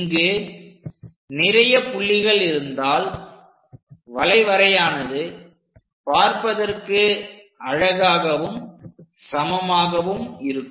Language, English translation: Tamil, If we have more number of points, the curve looks nice and smooth